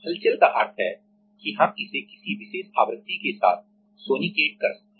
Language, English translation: Hindi, Agitation means we can sonicate it with some particular frequency